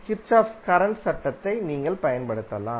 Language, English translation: Tamil, You can apply Kirchhoff voltage law